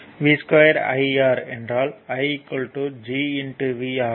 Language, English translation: Tamil, So, v is equal i is equal to Gv